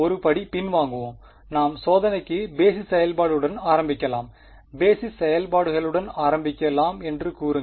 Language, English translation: Tamil, Let us start let us take one step back let us start with the basis functions we will come to testing like, say let us start with the basis functions